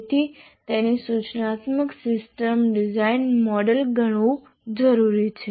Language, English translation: Gujarati, So it should be treated as we said, instructional system design model